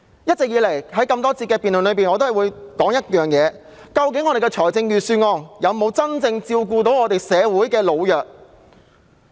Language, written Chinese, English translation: Cantonese, 一直以來，我在各個環節的發言中均會提到，究竟預算案有否真正照顧社會上的老弱人士？, In my speeches delivered in various sessions I have always questioned whether measures have been put forward in the Budget to really take care of the elderly and the underprivileged in society